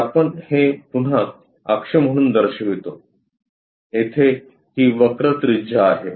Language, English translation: Marathi, So, we show that as an axis again here there is a curve radius, this one